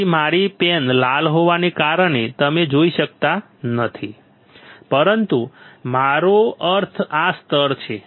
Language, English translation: Gujarati, So, because of my pen is red you cannot see, but what I mean is this layer